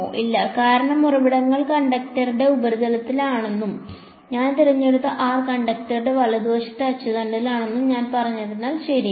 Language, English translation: Malayalam, No, right because I have said the sources are on the surface of the conductor and the r that I have chosen is on the axis of the conductor right